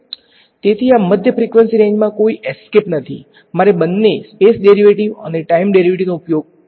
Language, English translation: Gujarati, So, in this mid frequency range there is no escape, I have to use both the space derivative and the time derivative ok